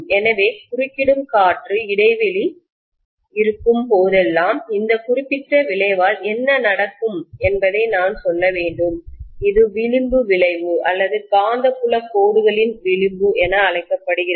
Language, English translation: Tamil, So I should say this particular effect what happens whenever there is an intervening air gap, this is known as fringing effect or fringing of magnetic field lines